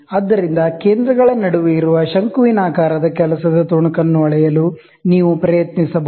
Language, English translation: Kannada, So, you can try to measure the conical work piece that is held between centers